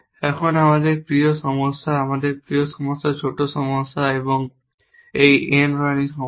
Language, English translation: Bengali, Now, our favorite problem one of our favorite problem small problems is this n queen problems